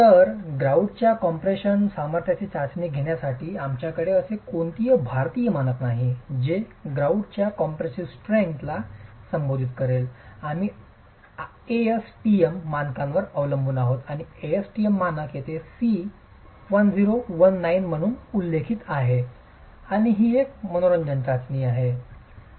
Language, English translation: Marathi, So, for testing the compressive strength of the grout, we don't have an Indian standards that addresses the compressive strength testing of the grout, we depend on the on an ASTM standard and the ASTM standard referred to here is C1019 and it's an interesting test